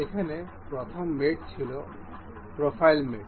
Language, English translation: Bengali, The first mate here is profile mate